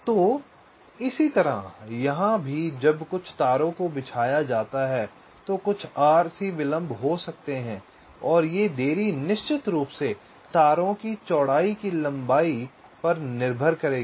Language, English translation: Hindi, so similarly, here also, when some, some wires are laid out, there can be some rc delays and this delays will be dependent up on the width of the wires, of course, the lengths